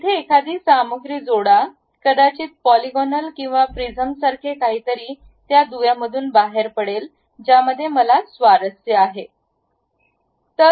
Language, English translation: Marathi, Add a material here maybe something like a polygonal uh prism coming out of that link that is the thing what I am interested in